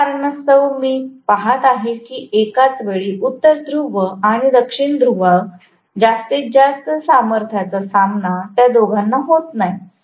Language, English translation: Marathi, Because of which I am going to see that both of them are not facing the maximum strength of north poles and south poles at the same instant of time